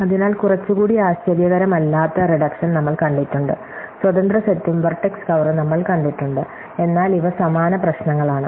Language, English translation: Malayalam, So, far we have seen reductions which are not very perhaps surprising, we have seen independent set and vertex cover, but these are similar problems